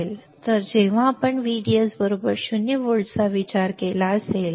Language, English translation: Marathi, So, case one we have considered when VDS equals to 0 volt